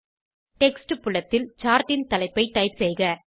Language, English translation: Tamil, In the Text field, type the title of the Chart